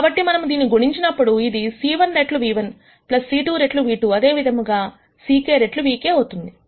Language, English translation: Telugu, So, this will be c 1 times nu 1 plus c 2 times nu 2, all the way up to c k times nu k